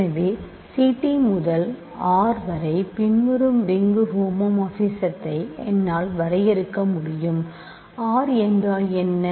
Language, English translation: Tamil, So, I can define the following ring homomorphism from C t to R what is R